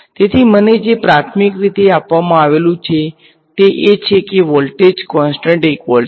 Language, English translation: Gujarati, So, what is given to me primarily is the fact that voltage is constant 1 volt